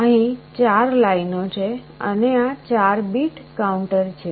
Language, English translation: Gujarati, So, there are 4 number of lines here and it is a 4 bit counter